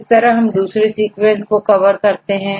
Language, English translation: Hindi, So, in this case, we can cover to other sequences